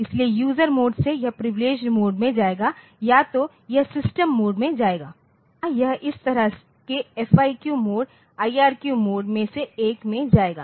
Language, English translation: Hindi, So, from user mode so, it will go to the privileged mode either it will go to system mode or it will go to say one of this FIQ mode IRQ mode like that